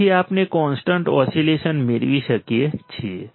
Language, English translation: Gujarati, So, we can get sustained oscillations all right